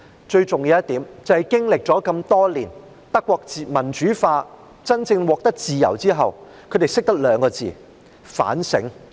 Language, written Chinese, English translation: Cantonese, 最重要的一點是，德國經歷了多年的民主化，在真正獲得自由後，他們學懂了兩個字——反省。, It is most important to note that after many years of democratization and having truly achieved freedoms Germany has learned to do one thing―soul - searching